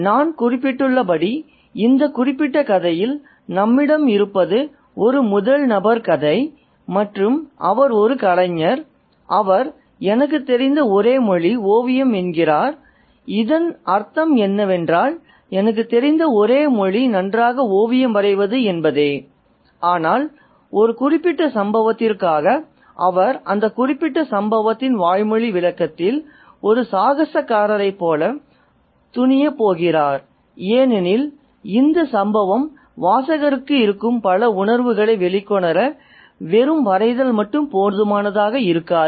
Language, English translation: Tamil, So, as I mentioned, this is a first person narrator that we have in this particular story and he is an artist and he says that the only language that I know is painting, the implication is that the only language that I know really well is painting, but for a particular incident he is going to venture like an adventurer on a verbal description of that particular incident because a mere drawing will not be sufficient to bring out the several shades of feeling that this incident has for the reader